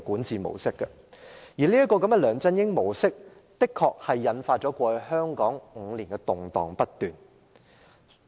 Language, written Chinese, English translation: Cantonese, 在"梁振英模式"下，香港過去5年動盪不斷。, Under the LEUNG Chun - ying Model Hong Kong has seen endless turbulences over the past five years